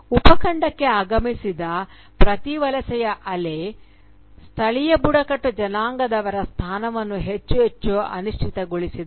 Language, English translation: Kannada, With every wave of migration that has arrived in the subcontinent, the position of the indigenous tribal population has been made more and more precarious